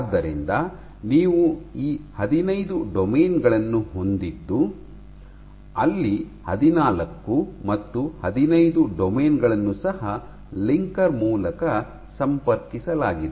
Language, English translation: Kannada, So, you have these 15 domains actually 14 and 15 are also connected by a linker